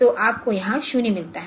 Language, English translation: Hindi, So, you get a 0 here